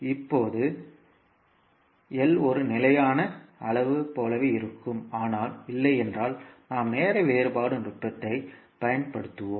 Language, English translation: Tamil, Now, l will remain same being a constant quantity, but in case of dI by dt we will use time differentiation technique